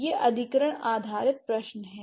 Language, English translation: Hindi, This is an acquisition based question